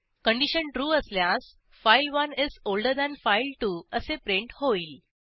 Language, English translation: Marathi, If the condition is true, we print file1 is older than file2